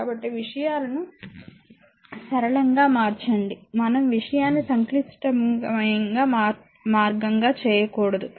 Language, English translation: Telugu, So, make things simpler way to better we should not make the thing complicated way